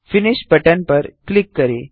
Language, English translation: Hindi, Hit the Finish button